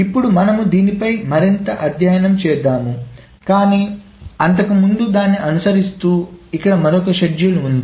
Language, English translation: Telugu, Now we will study on this a little bit more but before that here is another schedule and which is the following